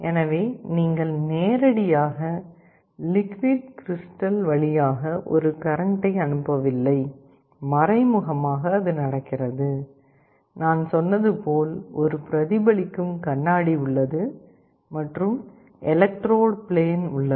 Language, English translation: Tamil, So, you are not directly passing a current through the liquid crystal, indirectly it is happening and as I said there is a reflecting mirror at the end, electrode plane and the whole arrangement is placed inside a sealed casing